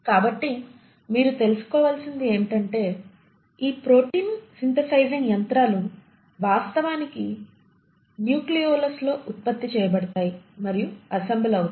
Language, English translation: Telugu, So what you find is that this protein synthesising machinery is actually produced and assembled in the nucleolus